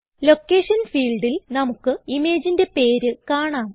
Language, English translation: Malayalam, We will see the name of the image in the Location field